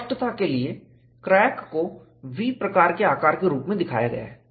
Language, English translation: Hindi, For clarity, the crack is shown as a V type of shape